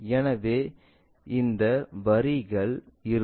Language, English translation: Tamil, So, we will have these lines